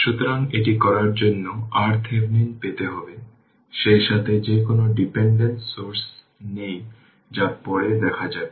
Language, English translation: Bengali, So, to do this right you have to obtain R Thevenin as well as what you call that are there is no independent source that will see later right